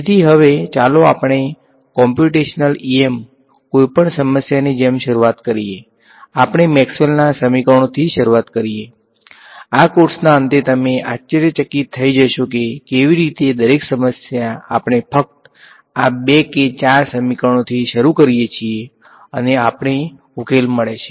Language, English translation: Gujarati, So, now, let us start with as with any problem in computational em we start with Maxwell’s equations right, at the end of this course you will be amazed that how every problem we just start with these two or four equations and we get a solution ok